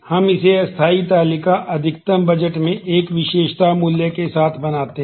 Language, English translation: Hindi, We make that into a temporary table max budget with an attribute value